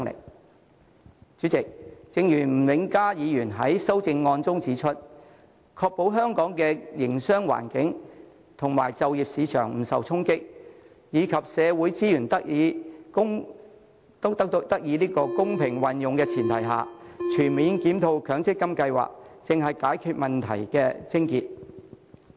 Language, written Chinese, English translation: Cantonese, 代理主席，正如吳永嘉議員在其修正案中指出，"在確保香港的營商環境和就業市場不受衝擊，以及社會資源得以公平運用的前提下，全面檢討強積金計劃"，才能解決問題的癥結。, Deputy President as Mr Jimmy NG has pointed out in his amendment on the premise of ensuring that Hong Kongs business environment and employment market will not be challenged and social resources will be fairly utilized we should comprehensively review the MPF scheme . Only then will the core problem be resolved